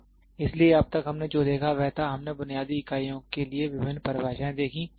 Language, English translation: Hindi, So, till now what we saw was; we saw various definitions for basic units